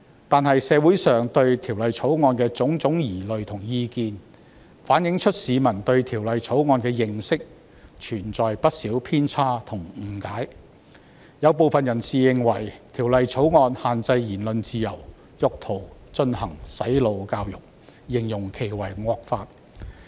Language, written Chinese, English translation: Cantonese, 但是，社會上對《條例草案》的種種疑慮和意見，反映出市民對《條例草案》的認識存在不少偏差及誤解，有部分人士認為《條例草案》限制言論自由，意圖進行"洗腦"教育，因而稱之為惡法。, However the doubts and opinions of the community on the Bill reflect that people have distorted understanding and misunderstanding of the Bill . Some think that the Bill restricts freedom of expression and intends to introduce brainwashing education thus calling it an evil law